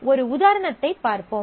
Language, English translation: Tamil, So, let us see an example